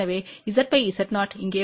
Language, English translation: Tamil, So, Z by Z 0 will come here